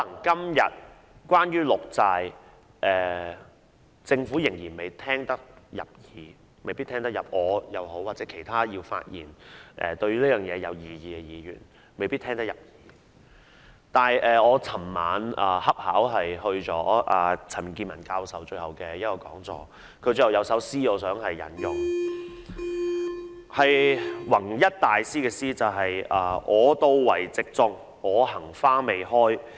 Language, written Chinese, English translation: Cantonese, 對於綠色債券，或許政府今天對我或其他對綠色債券有異議的議員的意見仍未聽得入耳，但我昨晚恰巧出席了陳健民教授的最後一堂課，我想引用他在結語時提到的一首出自弘一大師的詩："我到為植種，我行花未開。, Regarding green bonds perhaps the Government is still reluctant to heed the views of me or other Members who object to green bonds today . But it so happened that I attended the lecture delivered by Prof CHAN Kin - man which was his swansong yesterday evening . I wish to quote the poem by Master Hong Yi with which he closed his speech and it reads Here I come to plant but the flowers are still in bud by the time I go